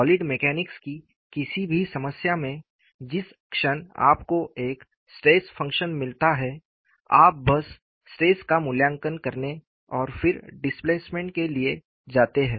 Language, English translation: Hindi, In one of our problems in solid mechanics, the moment you get a stress function, you simply go to evaluating the stresses and then to displacements